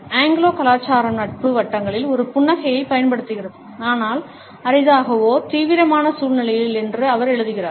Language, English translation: Tamil, She writes that the Anglo culture uses a smile in friendly circles, but rarely in serious situations